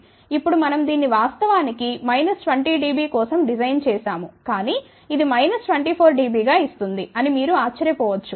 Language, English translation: Telugu, Now, you might wonder we had actually designed it for minus 20 db, but this is giving as minus 24 dB